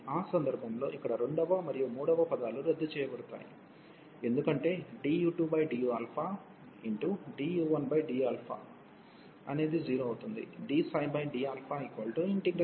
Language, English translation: Telugu, So, in that case the second and the third term here will be cancelled, because d u 2 over d alpha d 1 over d alpha will become 0